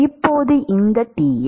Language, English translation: Tamil, Now this Ti